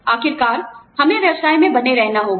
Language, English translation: Hindi, After all, we have to stay in business